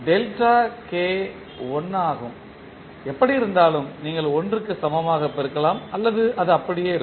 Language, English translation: Tamil, Delta k is 1 so anyway that is you can write multiply equal to 1 or it will remain same